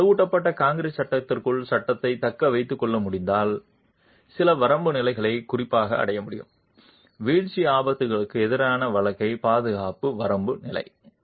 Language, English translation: Tamil, So, if the panel can be retained within the reinforced concrete frame, then a certain limit state can be achieved, particularly the life safety limit state against falling hazards